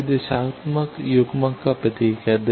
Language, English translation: Hindi, Now, this is the symbol of directional coupler